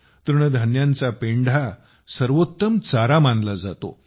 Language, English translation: Marathi, Millet hay is also considered the best fodder